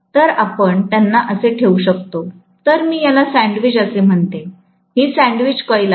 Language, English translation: Marathi, So, I can put them like this, whereas, so I would call this as sandwiched, this is sandwiched coil